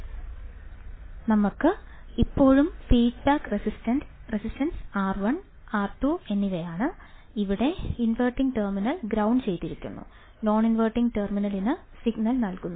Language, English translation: Malayalam, We still have the feedback resistance R 1 and R 2 and here the inverting terminal is grounded, non inverting terminal is given the signal